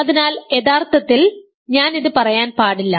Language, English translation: Malayalam, So, actually maybe I should not say this